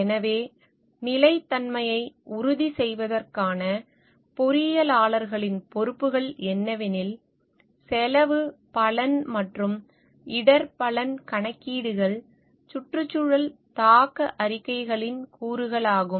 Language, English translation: Tamil, So, what are the responsibilities of engineers for assuring sustainability are, cost benefit and risk benefit calculations are frequent components of environmental impact statements